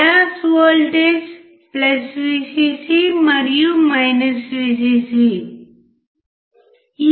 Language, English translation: Telugu, The bias voltage is +Vcc and Vcc